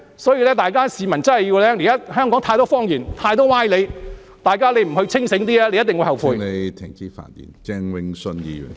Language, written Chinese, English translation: Cantonese, 所以，市民要看清楚，現在香港太多謊言、太多歪理，大家如果不保持清醒，便一定會後悔。, Therefore the public must see the picture clearly . There are too many lies and too many sophistries in Hong Kong now and one who does not stay alert will definitely regret